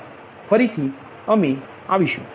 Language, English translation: Gujarati, thank you again